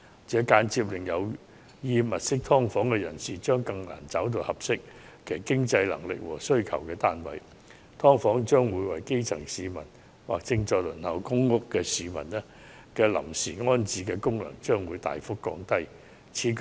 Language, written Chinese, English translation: Cantonese, 這間接令有意租住"劏房"的人士更難覓得符合其經濟能力和需要的單位，"劏房"為基層市民或正在輪候公屋的市民提供臨時安身之所的功能亦會大幅降低。, This will indirectly make it harder for prospective tenants to find subdivided units that best meet their means and needs and significantly undermine the role of subdivided units in providing grass - roots people or those waiting for public rental housing allocation with temporary accommodation